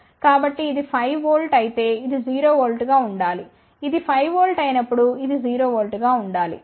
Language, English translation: Telugu, So, we have to ensure that if this is 5 volt this should be 0 volt, when this is 5 volt, this should be 0 volt